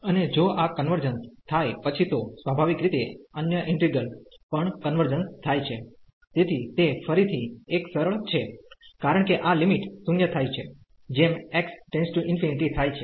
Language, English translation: Gujarati, And if this converges then naturally the other integral will also converge, so that is again a simple so, because this limit is coming to be 0 as x approaches to infinity